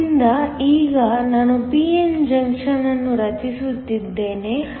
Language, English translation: Kannada, So, now I am forming a p n junction